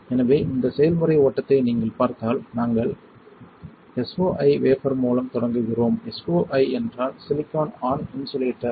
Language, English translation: Tamil, So, if you see this process flow we start with SOI wafer, SOI means silicon on insulator alright